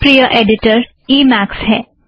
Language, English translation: Hindi, My favorite editor is Emacs